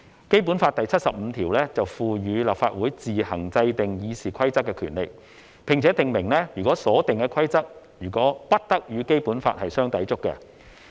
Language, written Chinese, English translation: Cantonese, 《基本法》第七十五條賦予立法會自行制定《議事規則》的權利，並且訂明所定的規則不得與《基本法》相抵觸。, Article 75 of the Basic Law empowers the Legislative Council to make the Rules of Procedure RoP on its own and that the rules made cannot contravene the Basic Law